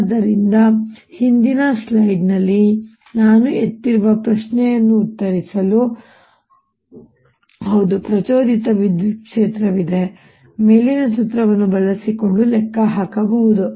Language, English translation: Kannada, so to answer that i placed in the previous slide is yes, there is an induced electric field and can be calculated using the formula